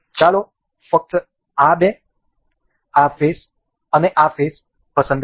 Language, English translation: Gujarati, Let us just select two this face and this face